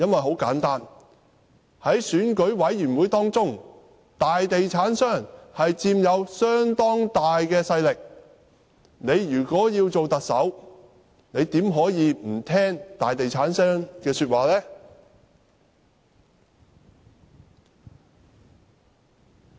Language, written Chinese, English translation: Cantonese, 很簡單，在選舉委員會當中，大地產商的勢力相當大，如果他想擔任特首，怎可以不聽從大地產商的說話？, Why did Donald TSANG have to listen to big property developers? . The reason was simple enough they had considerable influence in the Election Committee . If he wanted to be elected as the Chief Executive how could he not listen to them?